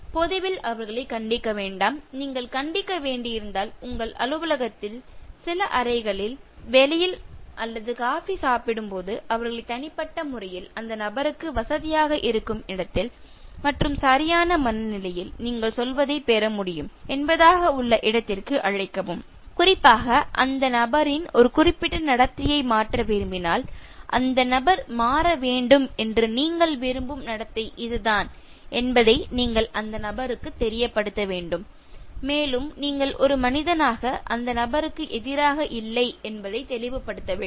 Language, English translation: Tamil, Do not reprimand them in public, if at all you have to reprimand, call them privately in your office, in some chamber, some outside, while having some coffee, okay, where the person is comfortable and the person is able to receive in the right frame of mind, especially if you want the person to change a particular behavior, you need to make the person know that it is the behavior that you want the person to change and you are not against the person as a human being as such